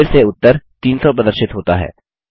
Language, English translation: Hindi, Notice the result shows 300